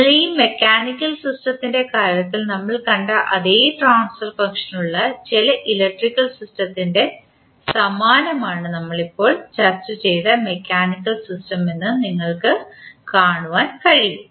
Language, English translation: Malayalam, So, you can say that mechanical system which we just discussed is analogous to some electrical system which have the same transfer function as we saw in case of this mechanical system